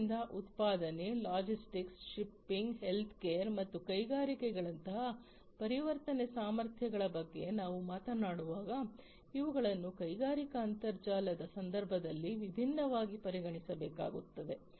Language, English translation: Kannada, So, when we talk about transformation capabilities such as manufacturing, logistics, shipping, healthcare and industries these will have to be taken in the into consideration differentially, differently in the context of industrial internet